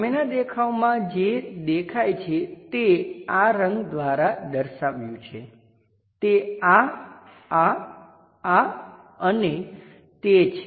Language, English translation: Gujarati, The thing what is visible in the front view shown by that color that is this this this and that